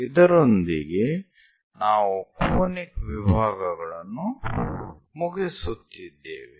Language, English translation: Kannada, In this, we are completing the Conic Sections part